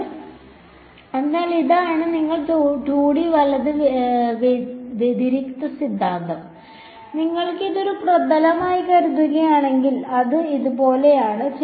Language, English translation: Malayalam, So, this is you divergence theorem in 2D right, and if you want think of it as a surface it’s like this